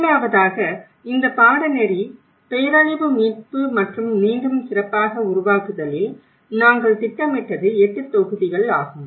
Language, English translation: Tamil, First of all, this course, the way we planned disaster recovery and build back better, so it has 8 modules